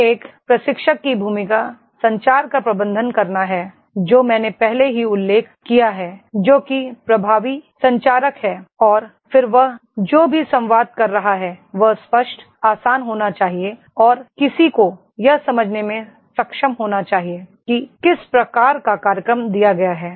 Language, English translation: Hindi, ) Then role of a trainer is to manage communication which already I have mentioned, that is effective communicator and then whatever he is communicating that should be clear, easy and one should be able to understand what type of program is given